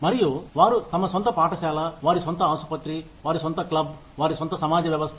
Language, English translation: Telugu, And, they have their own school, their own hospital, their own club, their own community system